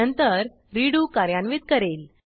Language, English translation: Marathi, Then it will execute redo